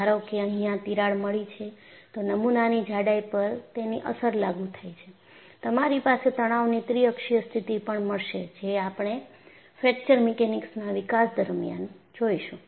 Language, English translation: Gujarati, Suppose I have a crack, that thickness of the specimen also come into the effect, and you will also have triaxial state of stress which we would see in course of fracture mechanics developments